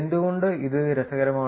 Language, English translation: Malayalam, Why is this interesting